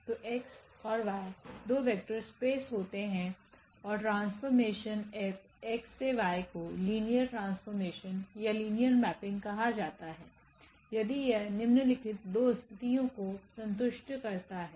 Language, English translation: Hindi, So, X and Y be two vector spaces and the mapping F from X to Y is called linear transformation or linear mapping if it satisfies the following 2 conditions